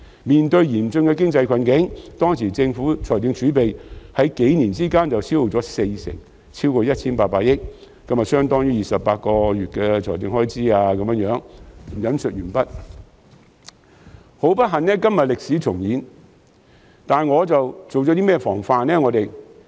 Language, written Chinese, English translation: Cantonese, 面對嚴峻的經濟困境，當時政府財政儲備在這幾年間就消耗了四成，超過 1,800 億元，由相當於28個月的政府開支……"很不幸，今天歷史重演，但我們做了些甚麼防範呢？, We experienced five years of fiscal deficits which depleted 40 per cent or over 180 billion of our fiscal reserves leaving these at a level equivalent to instead of 28 months of government expenditure . End of quote Unfortunately history is repeating itself today but what have we done to prevent it?